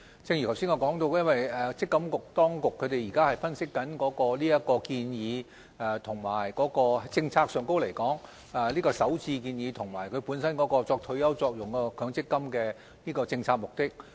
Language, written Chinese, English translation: Cantonese, 正如我剛才所說，積金局正在分析這項建議，以及在政策上來說，這項首置建議與本身有退休保障作用的強積金的政策目的。, As I said earlier MPFA is doing an analysis on this proposal . MPFA will analyse the proposal from the policy point of view and ascertain whether it is consistent with the policy objective of providing retirement protection under the MPF System